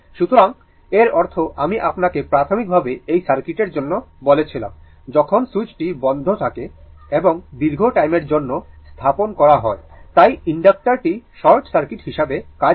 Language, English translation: Bengali, So that means, I told you initially for this circuit when switch is your what you call for this circuit, when switch is closed and placed it for a long time, so inductor acts as a short circuit